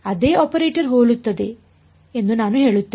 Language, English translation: Kannada, I will say the same operator remains similar ok